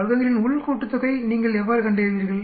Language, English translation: Tamil, Now how do you calculate total sum of squares